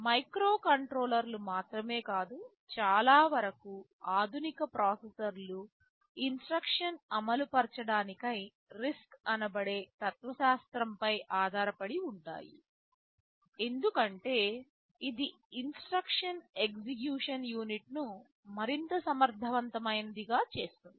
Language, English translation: Telugu, Not only microcontrollers, most of the modern processors at some level are based on the RISC philosophy of instruction execution because it makes the instruction execution unit much more efficient